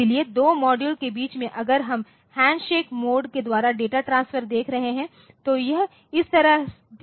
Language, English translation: Hindi, So, between 2 module say if we are looking into the handshake mode of data transfer so, it is like this